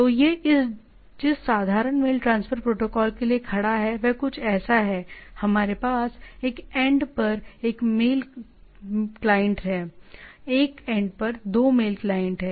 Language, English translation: Hindi, So, simple mail transfer protocol at it stands for is something like that, we have a mail client at one end, 2 mail client at one end